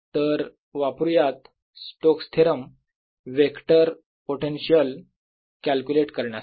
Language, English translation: Marathi, so use the vector potential of stokes theorem to calculate vector potential